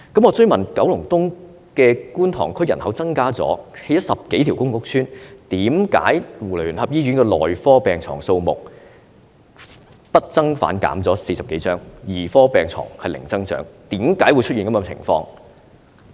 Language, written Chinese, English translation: Cantonese, 我追問九龍東觀塘區人口增加，多興建了10多條公共屋邨，為何基督教聯合醫院的內科病床數目不增反減40多張，兒科病床是零增長，為何會出現這種情況？, I then asked the reasons for the reduction of over 40 beds instead of providing additional beds in medical wards and the zero growth in beds in paediatric wards of the United Christian Hospital against the population growth and the development of over 10 public housing estates in Kwun Tong District in Kowloon East . Why would this situation happen?